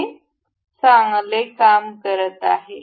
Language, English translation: Marathi, It is working well and good